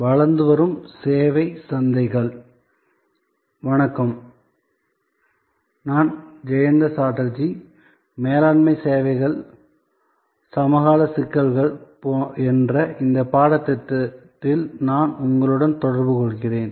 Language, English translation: Tamil, Hello, I am Jayanta Chatterjee and I am interacting with you on this course called Managing Services contemporary issues